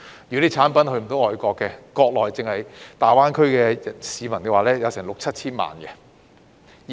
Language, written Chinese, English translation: Cantonese, 如果產品未能出口外國，內地單是大灣區的市民也有六七千萬人。, If our products cannot be exported to foreign countries we may turn to the Mainland as GBA alone has a population of 60 million to 70 million